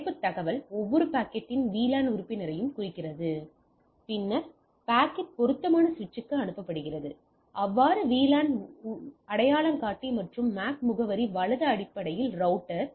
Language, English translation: Tamil, The header information designate the VLAN membership of each packet right, the packet is then forwarded to the appropriate switch, or router based on the VLAN identifier and MAC address right